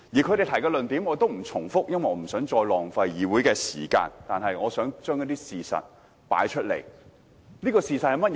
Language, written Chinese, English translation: Cantonese, 他們提出的論點我也不重複，因為我不想再浪費議會的時間，但我想提出一些事實。, I will not repeat the arguments already raised by them for I do not want to waste the time of the legislature . But I will put forward certain facts